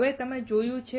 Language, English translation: Gujarati, Now, you have seen this